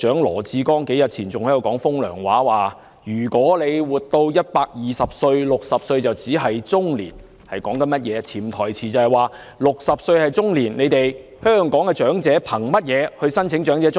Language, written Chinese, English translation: Cantonese, 羅致光局長數天前還在說"風涼話"，指如果活到120歲 ，60 歲只是中年，潛台詞即是 ："60 歲是中年，香港的長者憑甚麼申請長者綜援？, Secretary Dr LAW Chi - kwong made some sarcastic remarks a few days ago claiming that if we can live to 120 years of age we would only be middle - aged when reaching the age of 60 . His underlying message is Being 60 years old is middle - aged why should the elderly people in Hong Kong apply for elderly CSSA?